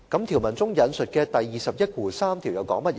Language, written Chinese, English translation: Cantonese, 條文中引述的第213條又說甚麼呢？, What are the contents of section 213 as mentioned in this provision?